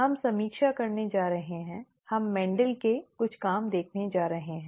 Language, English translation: Hindi, We are going to review, we are going to see some of Mendel’s work